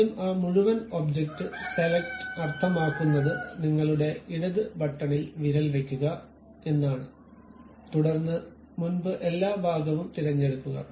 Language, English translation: Malayalam, First select that entire object select means keep your finger on that left button hold it, then select entire thing leave it